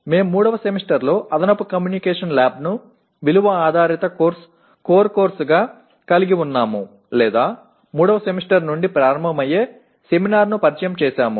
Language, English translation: Telugu, We had an extra communications lab in the third semester as a value added core course or introduce a seminar starting from the third semester